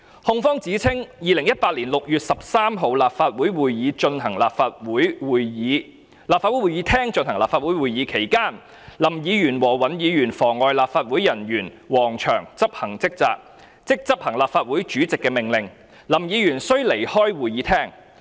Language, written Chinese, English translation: Cantonese, 控方指稱 ，2018 年6月13日，立法會會議廳進行立法會會議，期間林議員和尹議員妨礙立法會人員王祥執行職責，即執行立法會主席的命令，林議員須離開會議廳。, It is alleged that during the Council meeting held in the Chamber of the LegCo on 13 June 2018 Hon LAM and Hon WAN obstructed an officer of the LegCo namely WONG Cheung in the execution of his duty to carry out the order of the President of the LegCo for Hon LAM to leave the Chamber